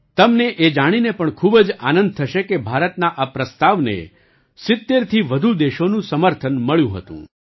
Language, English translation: Gujarati, You will also be very happy to know that this proposal of India had been accepted by more than 70 countries